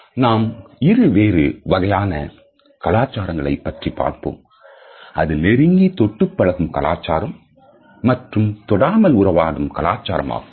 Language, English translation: Tamil, We have discussed two different types of cultures which are the contact culture as well as the non contact culture